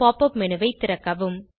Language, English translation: Tamil, Open the Pop up menu